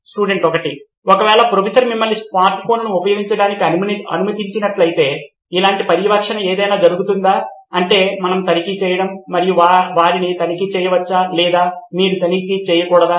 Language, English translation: Telugu, In case if the Professor allows you to use a smart phone, so is there any monitoring happening like this is what we have to check, you can check with them or you should’nt do